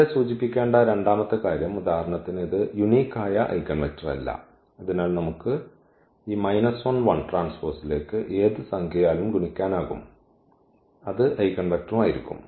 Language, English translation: Malayalam, Second point here which also needs to be mention that this is not the unique eigenvector for instance; so, we can multiply by any number to this minus 1 1 that will be also the eigenvector